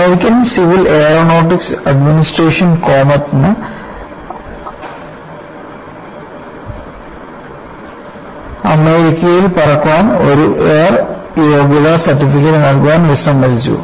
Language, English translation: Malayalam, The U S Civil Aeronautics Administration has refused to grant comet an air worthiness certificate to fly in the United States, purely out of a judgment